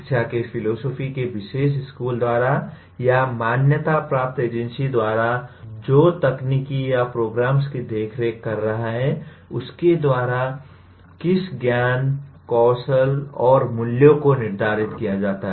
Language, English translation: Hindi, What knowledge, skills and values to be imparted or decided by or determined by the particular school of philosophy of education limited or by the accrediting agency which is overseeing the particular technical or the programs